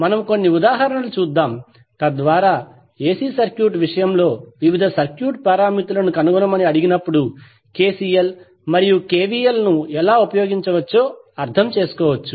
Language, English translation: Telugu, So let's see a few of the examples so that we can understand how we will utilize KCL and KVL when we are asked to find the various circuit parameters in case of AC circuit